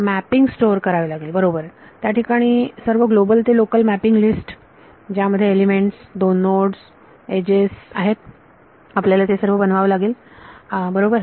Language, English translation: Marathi, Store the mapping rights so, this has all of the global to local mappings list of elements, two nodes, edges, you have to create all of these right